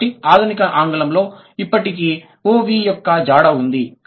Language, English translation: Telugu, So, the modern English still has the trace of OV